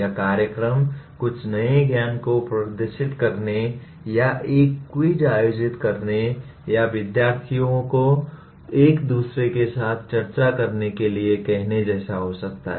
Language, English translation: Hindi, The events could be like demonstrating some new knowledge or conducting a quiz or asking the students to discuss with each other